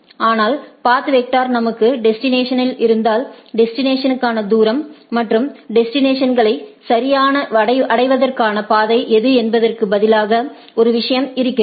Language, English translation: Tamil, But, there is a thing instead in case in path vector we have destination, distance to the destination, and the that what is the path to reach the destinations right